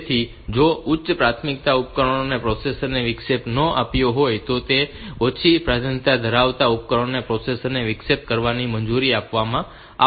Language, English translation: Gujarati, So, device lower priority into lower priority devices they will be allowed to interrupt the processor only if the higher priority devices they have not interrupted the processor